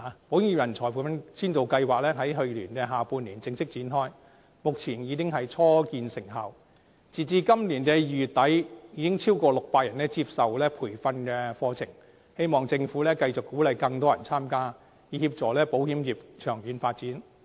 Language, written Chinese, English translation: Cantonese, 保險業人才培訓先導計劃在去年下半年正式展開，目前已初見成效，截至今年2月底，已有超過600人接受培訓課程，希望政府繼續鼓勵更多人參加，以協助保險業長遠發展。, The Pilot Programme to Enhance Talent Training for the Insurance Sector was formally launched in the second half of last year and some achievements have already been made . As at the end of February this year over 600 people have received training . I hope that the Government will continue to encourage more people to participate in order to facilitate the long - term development of the insurance sector